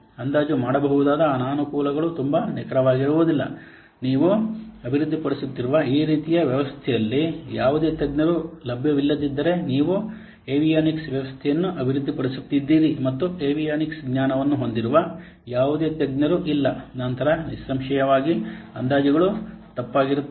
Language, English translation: Kannada, The disadvantage that very, it may, the estimate may be very inaccurate if there are no exports available in this kind of what system that you are developing suppose you are developing a avionic system and there is no expert who have knowledge who has knowledge on the avionics then obviously the estimates will be wrong